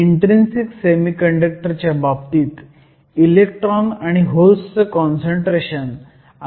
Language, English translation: Marathi, In the case of an intrinsic semiconductor, we have electron and hole concentration to be nearly the same